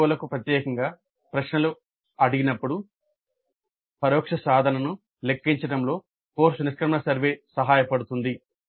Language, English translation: Telugu, So course exit survey aids in computing the indirect attainment particularly when questions are asked specific to COs